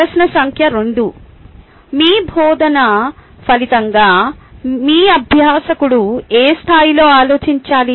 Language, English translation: Telugu, question number two: in what level should your learner think as a result of your teaching